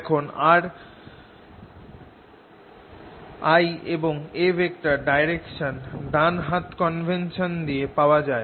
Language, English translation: Bengali, now l direction and direction of are related by the right hand convention